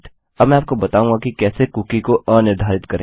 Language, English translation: Hindi, Now Ill teach you how to unset a cookie